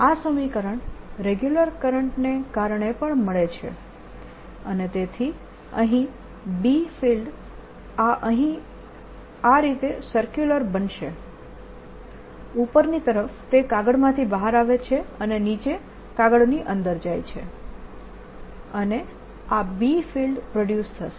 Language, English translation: Gujarati, this is precisely the equation that is due to a regular current also and therefore out here the b field is going to be circular like this, coming out of the paper on top, going into the paper at the bottom, and this b field is going to be produced